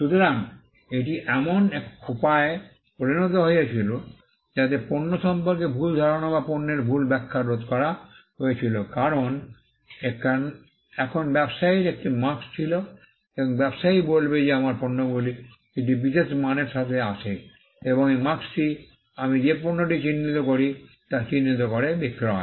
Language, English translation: Bengali, So, it became a way in which, misconceptions about the product or misrepresentations of the product was prevented because, now the trader had a mark and the trader would tell that my goods come with a particular quality and this mark identifies the goods that I am selling